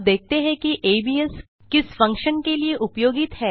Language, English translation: Hindi, Now, lets see what the functions abs is used for